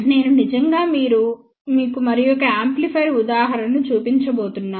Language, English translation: Telugu, I am actually going to show you one another amplifier example